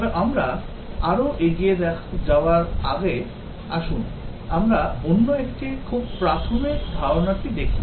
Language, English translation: Bengali, But before we proceed further, let us look at another very basic concept